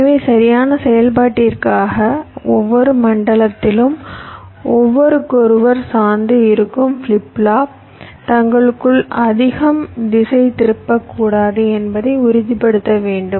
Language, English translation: Tamil, so what i mean to say is that for correct operation, so we must ensure that in every zone, the flip flops which depend on each other, there should not be too much skew among themselves